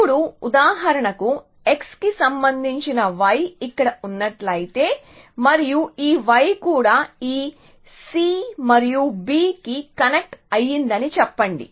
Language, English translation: Telugu, Now, for example, if there was a y here which was related to x and let us say this y also connected to this c and b essentially